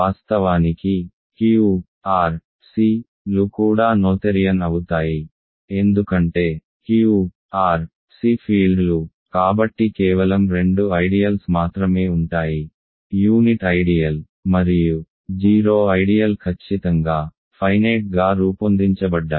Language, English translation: Telugu, Of course, Q, R, C, are also noetherian, because Q, R, R, C; Q, R, C are fields so only two ideals, the unit ideal and the 0 ideal which are of course, finitely generated